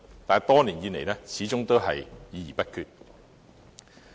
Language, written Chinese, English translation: Cantonese, 但是，多年以來，始終都是議而不決。, But after quite a number of years and much discussion a decision on the issue has not yet been made